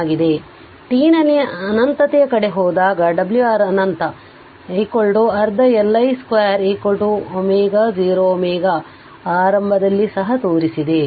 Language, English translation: Kannada, So, at t tends to infinity that is your omega R infinity is equal to half L I 0 square is equal to omega 0 omega initially also showed